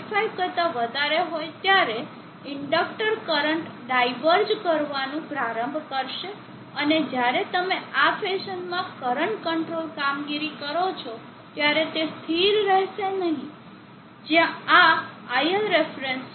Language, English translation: Gujarati, 5 the inductor current will start diverging and it will not be stable when you do current control operation in this fashion where this is the il reference